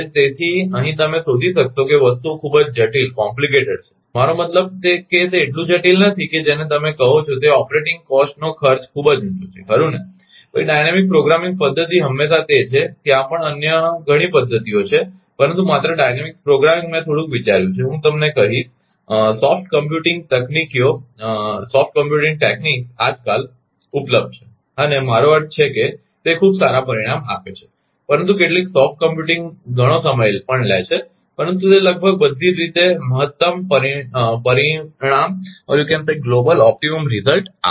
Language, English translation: Gujarati, So, here you will find that things are very complicated, I mean I mean not complicated that is your what you call that cost of operating operating cost is very high right, then dynamic programming method always it is also there are many other methods are there, but only dynamic programming I thought little bit I will tell you, ah soft computing techniques are available nowadays right and, it gives ah I mean very good results, but some soft computing also takes a lot of time, but it give the nearly global optimum result nearly global optimal, or best result right